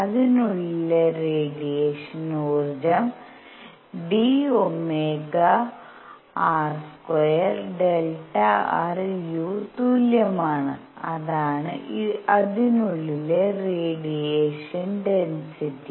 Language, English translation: Malayalam, The radiation energy inside it is equal d omega r square delta r times u; that is the radiation density inside it